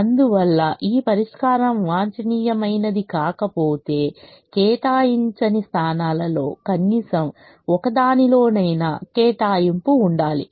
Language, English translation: Telugu, therefore, if this solution is not optimum, then it should have at least one allocation in a unallocated position